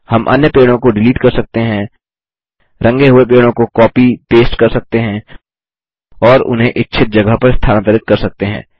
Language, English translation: Hindi, We can also delete the other trees, copy paste the colored tree and move it to the desired location